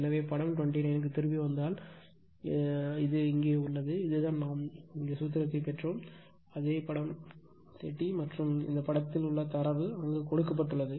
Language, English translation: Tamil, So, if you come back to figure 29 it is here , this is the , just hold on, is just the same figure where where you have derive the formula right this is the figure 30 and this is your this is the figure in this figure right